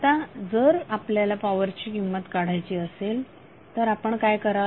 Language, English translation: Marathi, Now if you need to find out the value of power what you can do